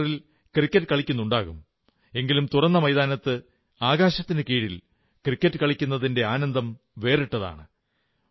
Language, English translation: Malayalam, You must be playing cricket on the computer but the pleasure of actually playing cricket in an open field under the sky is something else